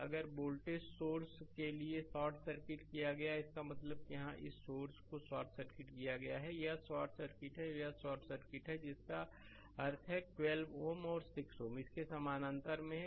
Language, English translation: Hindi, So, if voltage source is short circuited for R Thevenin; that means, here this source is short circuited, this is short circuited and this is short circuited that means, this 12 ohm is and 6 ohm are in parallel with that this 4 ohm is in series that will be your R Thevenin